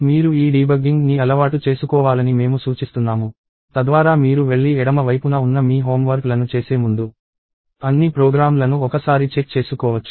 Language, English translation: Telugu, I suggest that you get used to this debugging, so that you can check all your programs once before you go and do your home works on the left side